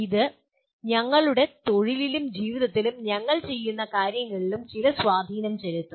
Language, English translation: Malayalam, Which can have some impact on what we are doing both in our profession as well as in our life